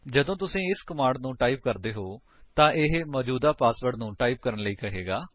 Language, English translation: Punjabi, When you type this command you would be asked to type the current password